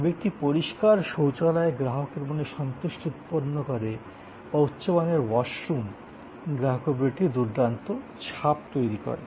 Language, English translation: Bengali, But, a clean toilet goes a long way to create customer satisfaction or goods availability of washrooms create an excellent impression on the customer